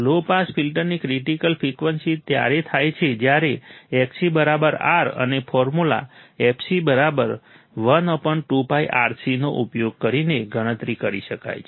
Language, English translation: Gujarati, The critical frequency of a low pass filter occurs when Xc = R, and can be calculated using the formula fc= 1/(2ΠRC)